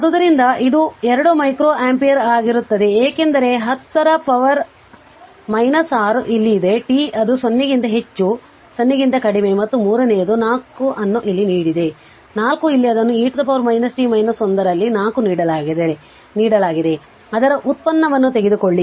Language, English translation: Kannada, So, it will be 2 micro ampere because 10 to the power minus 6 is here that is t greater than 0 less than 1 and third one it has given 4 here it is it was given 4 in e to the power minus t minus 1, you take the derivative of it C into dv by dt